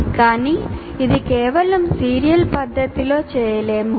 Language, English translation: Telugu, But this itself cannot be done in just in a serial fashion